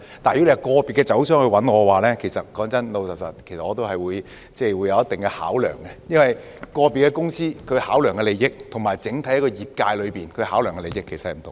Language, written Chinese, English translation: Cantonese, 但是，如果是個別的酒商找我，坦白說，我也會有一定的考量，因為個別公司所考量的利益與整體業界所考量的利益其實是有所不同的。, However if individual wine traders approach me frankly I will make certain consideration because the interest considerations of individual companies are actually different from those of the sector as a whole